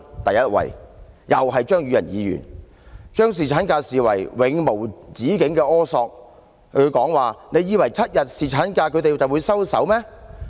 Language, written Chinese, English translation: Cantonese, "；第一位冠軍，又是出自張宇人議員，他把要求侍產假視為永無止境的苛索，提到"你以為7天侍產假他們就會收手嗎？, Our wives did not enjoy any maternity leave in the past and so what? . The champion comes also from Mr Tommy CHEUNG who sees the request for paternity leave an insatiable demand . He remarked So you thought they would stop after getting seven days of paternity leave?